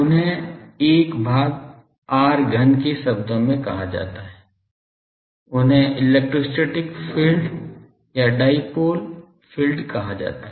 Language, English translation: Hindi, They are called 1 by r cube terms they are called electrostatic field, electrostatic field or dipole field